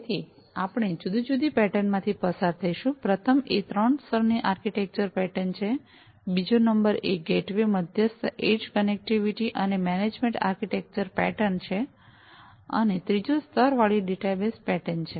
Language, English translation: Gujarati, So, we will go through three different patterns, number one is the three tier architecture pattern, number two is the gateway mediated edge connectivity, and management architecture pattern, and third is the layered data bus pattern